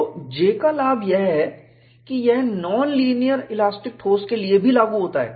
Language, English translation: Hindi, So, the advantage of J is, it is applicable for non linear elastic solids too